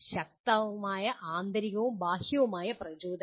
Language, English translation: Malayalam, Strong intrinsic and extrinsic motivation